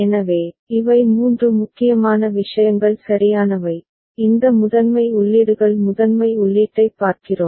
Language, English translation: Tamil, So, these are the three important things right, These primary inputs where we are seeing primary input